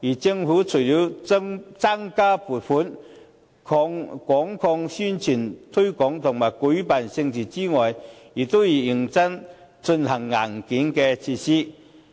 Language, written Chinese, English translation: Cantonese, 政府除了增加撥款、廣作宣傳、推廣和舉辦盛事之外，亦要認真進行硬件設施。, Apart from allocating more funding investing in propaganda promoting and organizing mega events the Government also has to seriously invest in hardware facilities